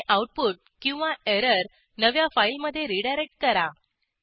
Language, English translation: Marathi, And redirect the output or error to a new file